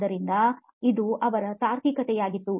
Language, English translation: Kannada, So that was his reasoning